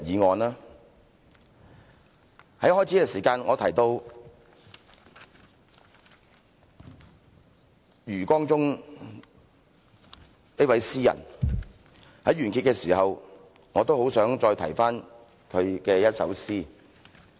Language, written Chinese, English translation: Cantonese, 我在開始發言的時候，提到余光中這位詩人，於完結的時候，我亦很想重提他的一首詩。, At the beginning of my speech I mentioned a poet called YU Guangzhong . At the end of my speech I really wish to mention again a poem he wrote